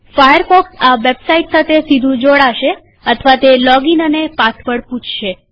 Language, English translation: Gujarati, Firefox could connect to the website directly or it could ask for a login and password